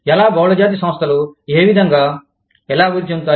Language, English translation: Telugu, How do multinational enterprises, develop